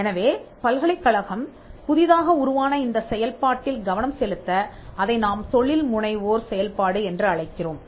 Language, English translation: Tamil, So, for the university to concentrate on this newly evolved function, what we call the entrepreneurial function